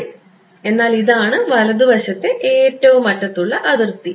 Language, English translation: Malayalam, Yeah, but this is the right most boundary